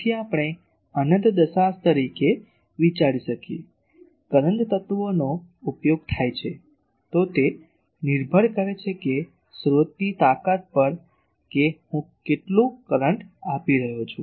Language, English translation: Gujarati, So, that we can consider as infinite decimal so, current elements are used, then it depends; obviously, on the source strength how much current I am giving